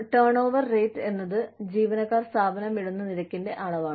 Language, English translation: Malayalam, Turnover rate is a measure of the rate, at which, employees leave the firm